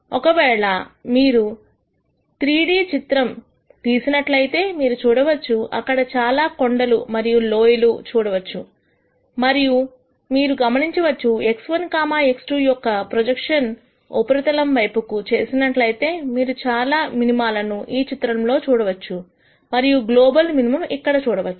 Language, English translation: Telugu, If you plot this in a three d plot you will get this you can see there are many hills and valleys in this and you will notice if we do the projection of this on to the x 1, x 2 surface you will see that there are several minima in this picture and you will see that the global minimum is here